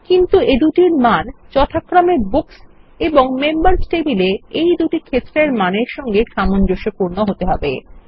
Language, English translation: Bengali, But, they will need to correspond to the same values as we have in the Books and Members tables respectively